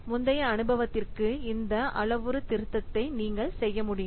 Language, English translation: Tamil, You can do the calibration to previous experience